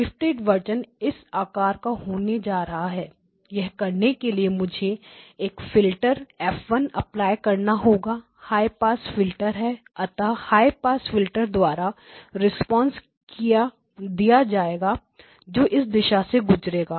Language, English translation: Hindi, The shifted version is going to be of this type, now to this I have to apply the filter F1 it is a high pass filter, so the high pass filter will have a response which basically goes from this direction